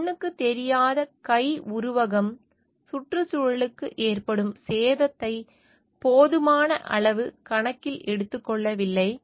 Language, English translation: Tamil, The invisible hand metaphor does not adequately take into account damage to the environment